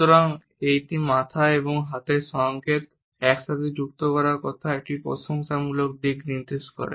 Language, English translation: Bengali, So, this head and hand signal associated together suggest a complimentary aspect of my words